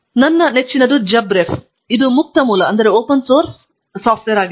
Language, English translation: Kannada, My favorite one is JabRef, which is a open source and freely available software